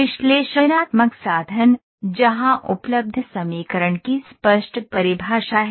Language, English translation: Hindi, Analytical means, where there is a clear definition of equation available